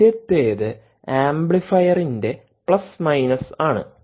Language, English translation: Malayalam, first thing is plus and the minus of a amplifier